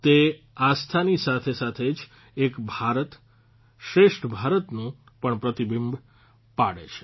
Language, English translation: Gujarati, Along with inner faith, it is also a reflection of the spirit of Ek Bharat Shreshtha Bharat